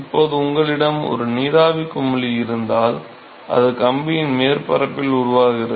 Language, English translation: Tamil, Now suppose if you have a vapor bubble, which is formed at the surface of the wire